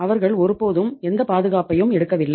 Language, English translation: Tamil, They have this never taken any security